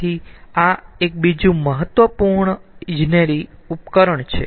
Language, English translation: Gujarati, so this is again another important device, another important engineering device